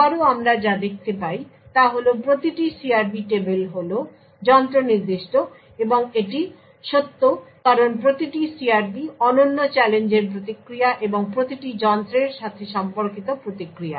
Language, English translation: Bengali, Further, what we also see is that each CRP table is device specific and this is true because each CRP response to the unique challenge and responses corresponding to each device